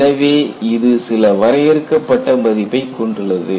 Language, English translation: Tamil, Then, it has some finite value